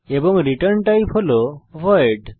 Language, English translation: Bengali, And the return type is void